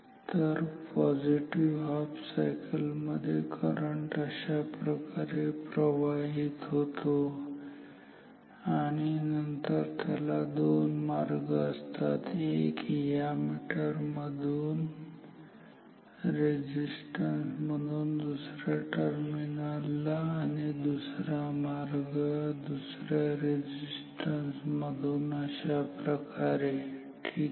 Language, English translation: Marathi, So, in the positive cycle current goes like this here and then it has two paths one like this through the meter and through the other resistance going back to the other terminal, another path is through this other resistance like this ok